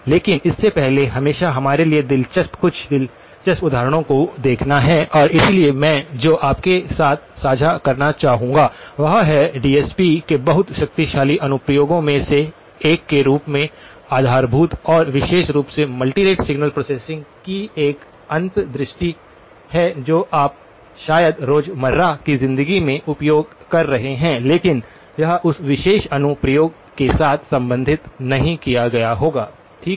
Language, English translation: Hindi, But before that always interesting for us to look at some interesting examples and so what I would like to do is share with you an insight of one of the very powerful applications of DSP as a baseline and in particular multi rate signal processing which you probably are using in everyday life but may not have associated it with that particular application, okay